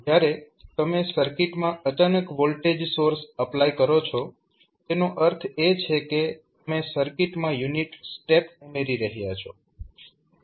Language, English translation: Gujarati, So, when you suddenly apply the voltage source to the circuit it means that you are adding unit step to the circuit